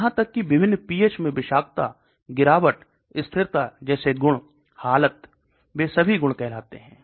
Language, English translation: Hindi, Even properties like toxicity, degradation, stability at different pH condition, they are all called properties